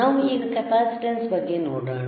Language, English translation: Kannada, Now, let us measure the capacitor